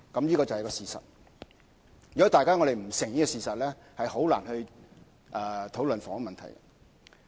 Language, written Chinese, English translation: Cantonese, 這就是事實，如果大家不承認，便難以討論房屋問題。, These are the facts . If Members do not admit them it will be difficult for us to discuss the housing problem